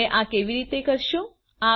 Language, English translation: Gujarati, How do you do this